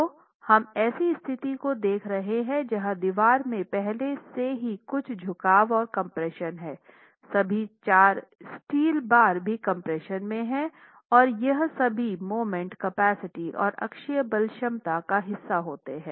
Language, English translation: Hindi, So, we are looking at a situation where there is already some bending in the wall, entire section is in compression, all the four steel bars are also in compression and contribute to the moment capacity or the axle load capacity